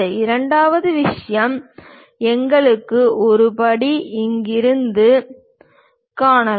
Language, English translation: Tamil, Second thing, we have a step; the step can be clearly seen